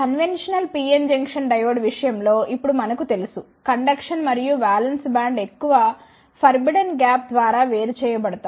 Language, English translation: Telugu, Now, we know in case of conventional PN junction diode, the conduction and the valence band are separated by a a large forbidden gap